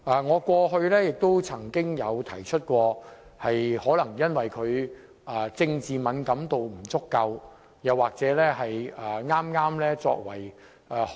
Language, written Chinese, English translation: Cantonese, 我過去曾經指出，這可能是因為她政治敏感度不足。, As I have pointed out in the past her political sensitivity was inadequate